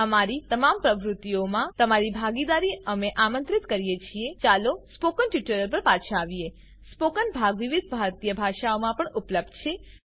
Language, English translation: Gujarati, We invite your participation in all our activities Let us get back to spoken tutorials The spoken part will be available in various Indian Languages as well